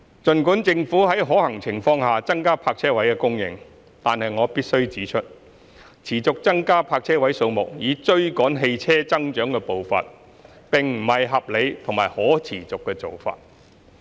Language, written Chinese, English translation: Cantonese, 儘管政府會在可行情況下增加泊車位供應，但我必須指出，持續增加泊車位數目以追趕汽車增長的步伐，並不是合理或可持續的做法。, Though the Government will increase the supply of parking spaces when the situation allows I must point out that it is neither reasonable nor sustainable to increase parking spaces continuously to catch up with the growth of vehicles